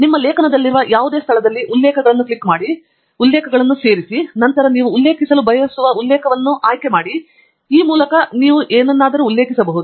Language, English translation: Kannada, You can now cite a reference at any location in your article by clicking References, Insert Citation, and then, choosing the reference that you want to cite